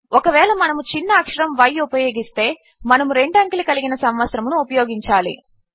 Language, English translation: Telugu, If we use a small y, it would be a 2 digit year